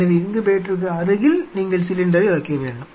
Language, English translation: Tamil, So, adjacent to the incubator you needed to have a cylinder placing the cylinder